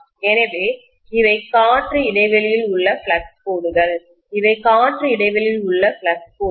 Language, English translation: Tamil, So these are flux lines in the air gap, these are the flux lines in the air gap